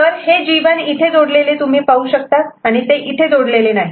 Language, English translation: Marathi, So, this G 1 you see is connected you can see from here to here